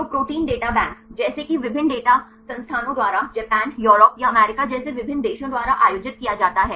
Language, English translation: Hindi, So, the Protein Data Bank like it is organized by the various institutions from different countries like Japan the Europe or the US